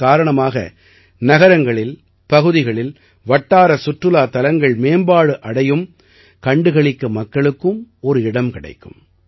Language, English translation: Tamil, With this, local tourist places will also be developed in cities, localities, people will also get a place to walk around